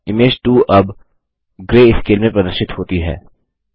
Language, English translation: Hindi, Image 2 is now displayed in greyscale